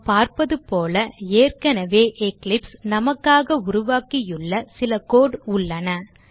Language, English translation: Tamil, As we can see, there is already some code, Eclipse has generated for us